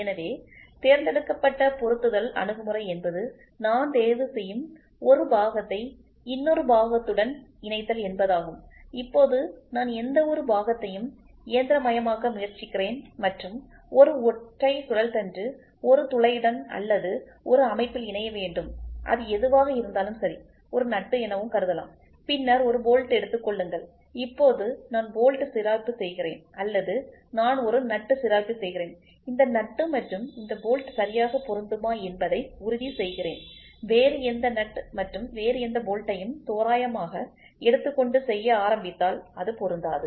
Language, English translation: Tamil, So, selective assembly approach means for I pick one part that part has to be mated with another part, now I either try to machine any one of the part and make sure a single shaft mates with a single hole or with a single housing whatever it is a, a taken nut which is and then take a bolt, now I grind the bolt or I grind a nut and I make sure this nut and this bolt exactly match and if I take any other nut and any other bolt randomly and start doing the assembly it will not match